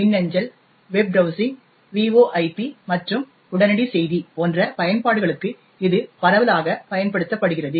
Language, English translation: Tamil, It is widely used for applications such as email, web browsing, VoIP and instant messaging